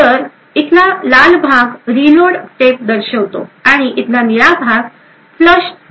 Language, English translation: Marathi, So the red part over here shows the reload step, and the blue part over here shows the time for the flush step